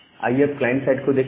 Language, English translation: Hindi, Now, let us move at the client side